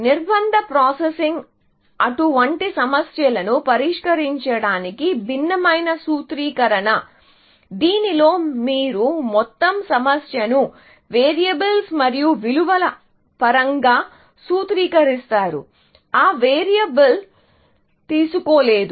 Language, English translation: Telugu, Constrain processing is just a different formulation of solving such problems in which, you formulate the entire problem in terms of variables, and values, that variable can take, essentially